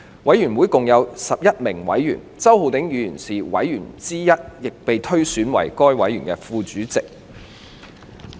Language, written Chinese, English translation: Cantonese, 委員會共有11名委員，周浩鼎議員是委員之一，亦被推選為委員會的副主席。, A total of 11 Members were elected including Mr Holden CHOW who was elected Deputy Chairman of the Select Committee